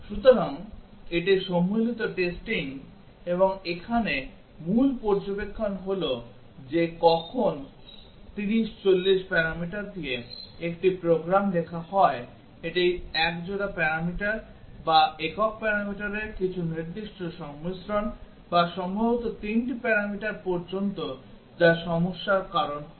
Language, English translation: Bengali, So, that is about the combinatorial testing and the key observation here is that when a program is written with the 30, 40 parameters it is some specific combinations of a pair of parameters or a single parameter or maybe up to 3 parameters that causes the problem